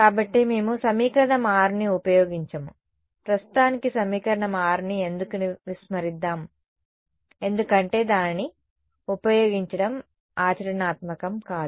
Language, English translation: Telugu, So, we do not use equation 6 let us for the moment ignore equation 6 why because it is not practical to use it